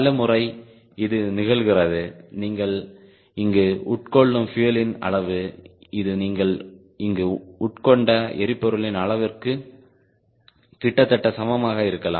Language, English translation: Tamil, many times it happens the amount of fuel which will consume here that may be almost equal to the amount of fuel is consumed here